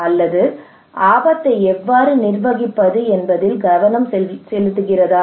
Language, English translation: Tamil, But they have less focus on how to manage the risk